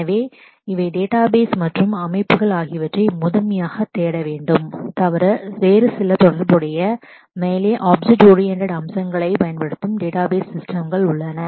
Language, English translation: Tamil, So, these are the databases and systems to primarily look for and besides that there are some other database systems which use certain object oriented features on top of the relational features